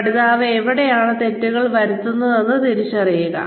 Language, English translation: Malayalam, Identify, where the learner is making mistakes